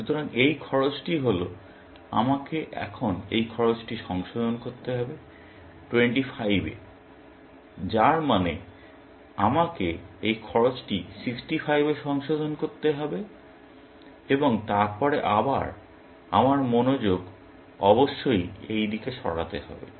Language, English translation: Bengali, So, this cost is, I have to revise this cost to 25 now, which means I have to revise this cost to 65 and then again, my attention must shift this side, essentially